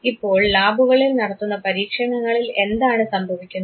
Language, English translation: Malayalam, Now in lab experiments what happen